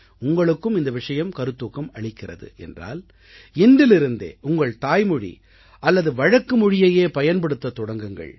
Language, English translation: Tamil, If you too, have been inspired by this story, then start using your language or dialect from today